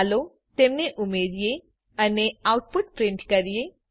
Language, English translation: Gujarati, Let us add them and print the result